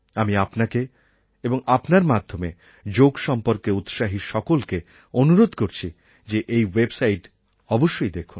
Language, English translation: Bengali, To you and through you to all the people interested in Yoga, I would like to exhort to get connected to it